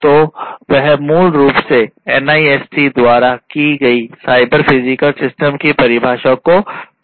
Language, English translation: Hindi, So, let us look at the NIST definition of what a cyber physical system is